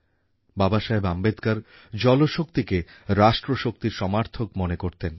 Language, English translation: Bengali, Baba Saheb who envisaged water power as 'nation power'